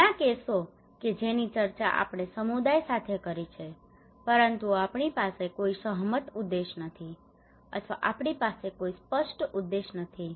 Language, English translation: Gujarati, Many cases that we discussed with the community but we do not have any agreed objectives, or maybe we do not have any clear objectives